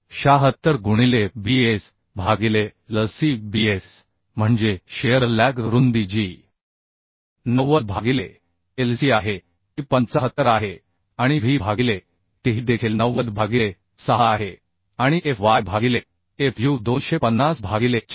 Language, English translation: Marathi, 076 into bs by Lc bs means the shear leg width that is 90 by Lc is 75 and w by t that is also 90 by 6 and fy by fu 250 by 410 that is coming 0